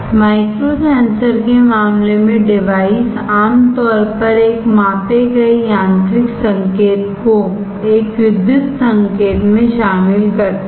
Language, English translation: Hindi, In the case of micro sensors the device typically covers a measured mechanical signal into a electrical signal